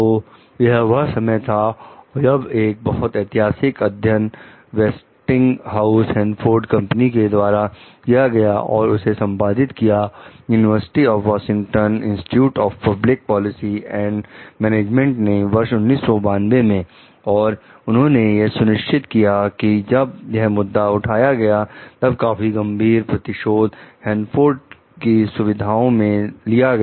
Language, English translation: Hindi, So, what was time was there a landmark study commissioned by Westinghouse Hanford Company and carried out by the University of Washington s institute for Public Policy and Management in 1992 confirmed that severe retaliation had often followed the raising of a concern at the Hanford facility